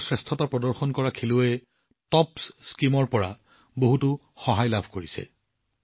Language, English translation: Assamese, Many of the best performing Athletes are also getting a lot of help from the TOPS Scheme